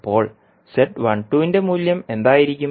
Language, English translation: Malayalam, So, what would be the value of Z12